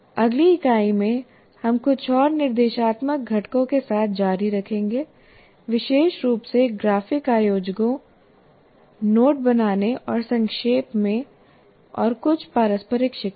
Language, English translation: Hindi, And in the next unit, we'll continue with some more instructional components, especially graphic organizers, note making, andizing and some reciprocal teaching